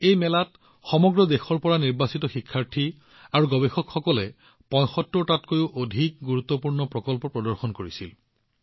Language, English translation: Assamese, In this fair, students and researchers who came from all over the country, displayed more than 75 best projects